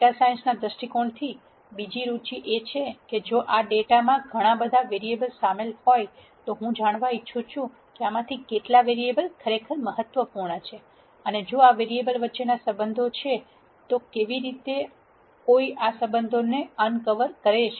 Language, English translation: Gujarati, The second important thing that one is interested from a data science perspec tive is, if this data contains several variables of interest, I would like to know how many of these variables are really important and if there are relationships between these variables and if there are these relationships, how does one un cover these relationships